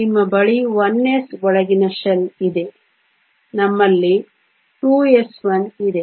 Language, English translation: Kannada, You have a 1 s inner shell we have 2 s 1